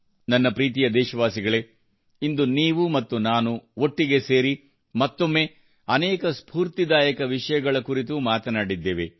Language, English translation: Kannada, My dear countrymen, today you and I joined together and once again talked about many inspirational topics